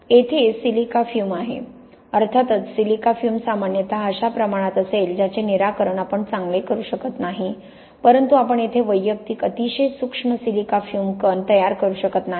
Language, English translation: Marathi, Here is silica fume, of course silica fume will generally be at a scale which we cannot resolve very well but we cannot sort of just about make up the individual very fine silica fume particles here